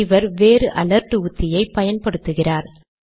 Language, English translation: Tamil, He uses a different alert mechanism